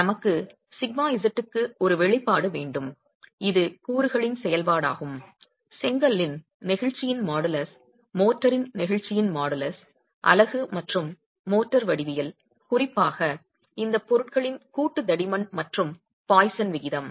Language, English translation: Tamil, We want an expression for sigma z which is a function of the constituents, the modulus of elasticity of the brick, the model is elasticity of the motor, the geometry of the unit and the motor, particularly the joint thickness and the poisons ratio of these materials